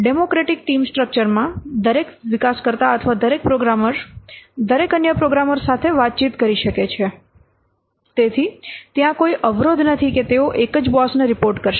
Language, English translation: Gujarati, In democratic team structure, each developer or each programmer can communicate to every other what programmer or every other developer